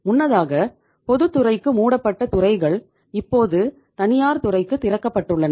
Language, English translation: Tamil, Those sectors which were closed for the public sector earlier only now they are open for the private sector